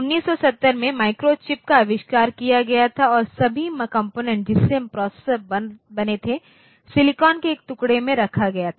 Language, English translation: Hindi, So, in 1970 the microchip was invented and all the components that made of the processor and now placed on a single piece of silicon